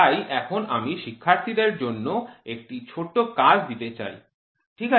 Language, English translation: Bengali, So, now I would like to give a small assignment for the students, ok